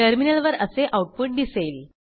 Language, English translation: Marathi, The output is as shown on the terminal